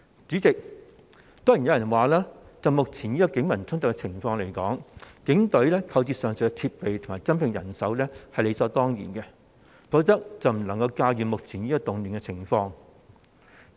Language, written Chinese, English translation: Cantonese, 主席，當然有人會說，就着目前警民衝突的情況，警隊購置上述設備及增聘人手是理所當然的，否則便會無法駕馭目前的動亂情況。, President certainly some people will argue that given the current clashes between the Police and the public it is simply justifiable for the Police Force to procure the aforementioned equipment and to increase its manpower or it will be unable to keep the present social turmoil under control